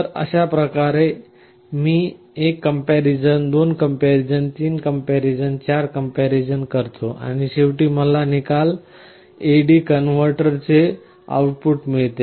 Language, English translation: Marathi, So, in this way I make 1 comparison, 2 comparison, 3 comparison and 4 comparison and I get finally my result whatever will be my output of the A/D converter